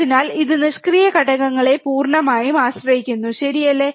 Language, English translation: Malayalam, So, it completely relies on the passive components, alright